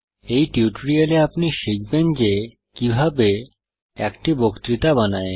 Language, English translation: Bengali, In this tutorial, you will learn how to: Create a lecture